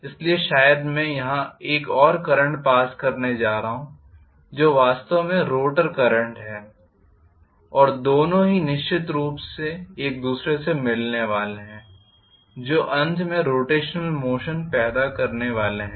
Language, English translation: Hindi, So, maybe I am going to have one more current passed here which is actually the rotor current and both of them are definitely going to interact with each other ultimately to produce the rotational motion